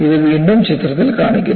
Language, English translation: Malayalam, And you can see that in the picture